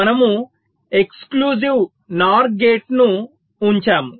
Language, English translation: Telugu, we have put an exclusive node gates